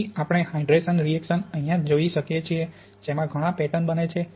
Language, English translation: Gujarati, So here we just see how we can look at the hydration reaction by stacking up lots of therefore patterns